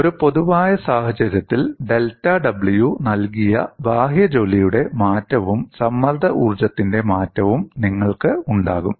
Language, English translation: Malayalam, In a generic situation, you will have change of work done given by delta W external as well as change of strain energy